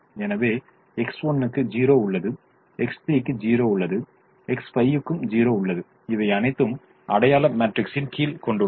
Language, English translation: Tamil, so x one has a zero, x three has a zero and x five has a zero under the identity matrix